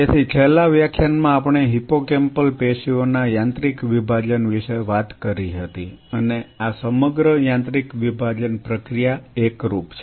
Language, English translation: Gujarati, So, in the last lecture we talked about the mechanical dissociation of the hippocampal tissue and this whole mechanical dissociation process is uniform